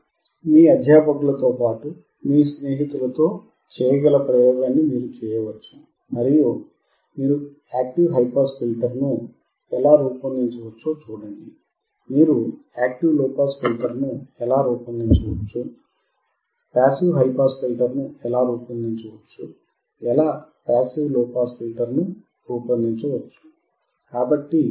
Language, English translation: Telugu, You can perform the experiment along with a mentor you can perform the experiment with your friends, and see how you can design active high pass filter, how you can design an active low pass filter, how you can design a passive high pass filter, how can is an a passive low pass filter